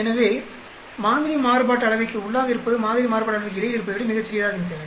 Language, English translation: Tamil, So, within sample variance should be much smaller than between sample variance